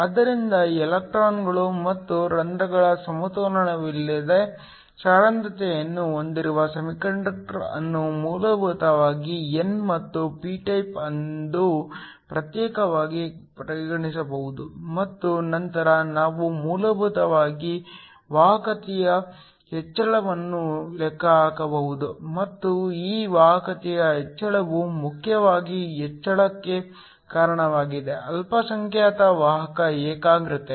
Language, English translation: Kannada, So, we can treat a semiconductor which has a non equilibrium concentration of electrons and holes as essentially an n and the p type separately, and then we can basically calculate the increase in conductivity and this increase in conductivity is mainly due to the increase in the minority carrier concentration